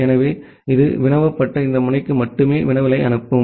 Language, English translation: Tamil, So, it will send the query to only this solicitated node